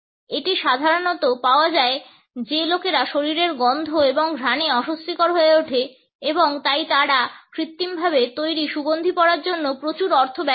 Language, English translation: Bengali, It is normally found that people are uncomfortable with body odors and smells and therefore, they spend a lot of money on wearing artificially created scents